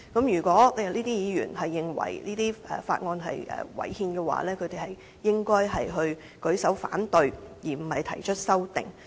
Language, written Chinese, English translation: Cantonese, 如果議員認為《條例草案》違憲，應該舉手反對，而不是提出修正案。, If Members consider the Bill unconstitutional they should vote against it instead of proposing amendments